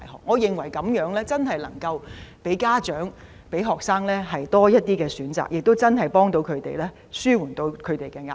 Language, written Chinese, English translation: Cantonese, 我認為這樣能給家長和學生多一些選擇，真的可以幫助他們紓緩壓力。, I think this approach will give parents and students more choices and really help them to alleviate pressure